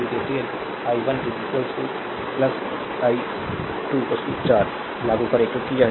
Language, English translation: Hindi, If you apply KCL i 1 plus i 2 is equal to 4 , right because